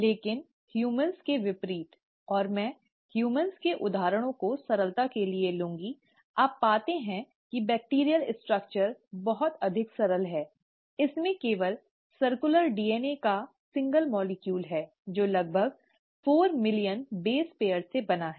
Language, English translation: Hindi, But, unlike humans, and I’ll take the examples of humans for simplicity, you find that the bacterial structure is much more simpler, it just has a single molecule of circular DNA, which is made up of about four million base pairs